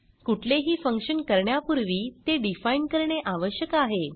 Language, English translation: Marathi, Before using any function, it must be defined